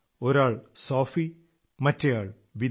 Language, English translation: Malayalam, One is Sophie and the other Vida